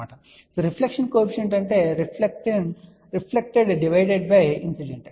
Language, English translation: Telugu, So, reflection coefficient is nothing but reflected divided by incident